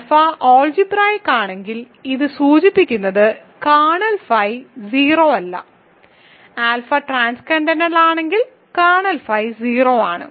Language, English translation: Malayalam, If alpha is algebraic this implies if this map is kern phi kernel phi is not 0, if alpha is transcendental the simplest kernel phi is 0